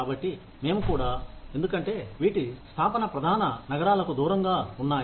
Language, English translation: Telugu, So, we will also because, these setups are away from main cities